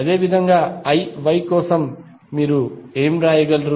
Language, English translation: Telugu, Similarly for I Y, what you can write